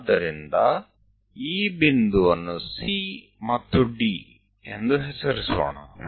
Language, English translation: Kannada, So, let us name this point C and D